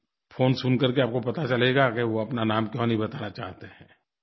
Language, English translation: Hindi, When you listen to the call, you will come to know why he does not want to identify himself